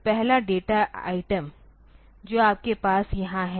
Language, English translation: Hindi, So, the first data item that you have here